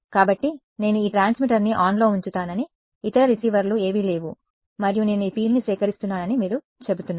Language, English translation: Telugu, So, you are saying that I keep this transmitter on, none of the other receivers are there and I just collect this field